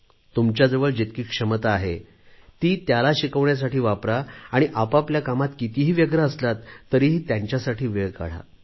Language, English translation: Marathi, Whatever capabilities you posses, use these to mentor your children, and, howsoever occupied you might be, spare time for them, be with them